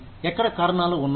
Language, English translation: Telugu, Here are the reasons